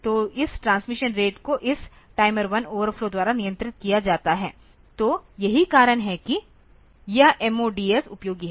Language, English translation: Hindi, So, this transmission rate is controlled by this timer 1 overflow; so, that is why this MODs are useful